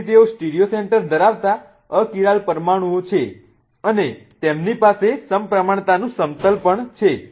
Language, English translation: Gujarati, So, they are achyral molecules having stereocentors and they also have a plane of symmetry